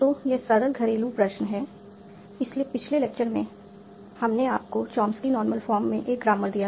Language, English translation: Hindi, So in the last lecture, we had given you a grammar in Chomsky Normal form